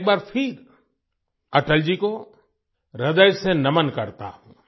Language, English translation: Hindi, I once again solemnly bow to Atal ji from the core of my heart